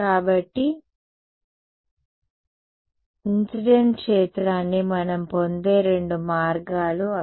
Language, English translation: Telugu, So, those are the two ways in which we get the incident field yeah